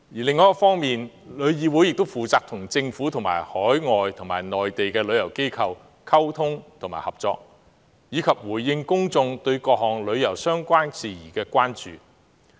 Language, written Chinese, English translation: Cantonese, 另一方面，旅議會亦負責與政府及海外和內地旅遊機構溝通和合作，以及回應公眾對各項旅遊相關事宜的關注。, Besides TIC is also responsible for communicating and collaborating with the Government as well as overseas and Mainland travel organizations and addressing public concerns on tourism - related issues